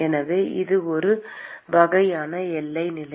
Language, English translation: Tamil, So that is one type of boundary condition